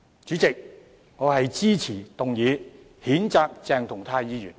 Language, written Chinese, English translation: Cantonese, 主席，我支持譴責鄭松泰議員的議案。, President I support the motion to censure Dr CHENG Chung - tai